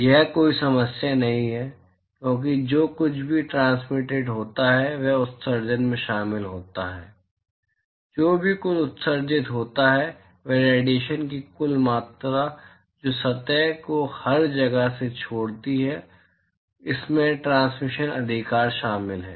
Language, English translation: Hindi, That is not a problem, because whatever is transmitted is covered in emission right whatever total emitted what total amount of radiation that leaves the surface from everywhere around, it includes transmission right